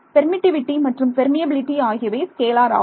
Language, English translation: Tamil, The permittivity and permeability are scalars